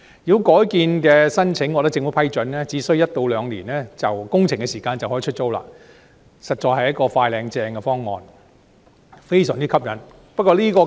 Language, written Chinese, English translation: Cantonese, 如果改建申請獲得政府批准，只需1至2年的工程時間，單位便可以出租，實在是"快靚正"的方案，非常吸引。, Given that the relevant units will be available for leasing after only a year or two of conversion works once granted government approval this is indeed a very attractive proposition that offers quick effective and efficient solutions